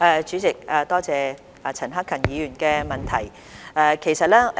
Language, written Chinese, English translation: Cantonese, 主席，多謝陳克勤議員的補充質詢。, President I thank Mr CHAN Hak - kan for his supplementary question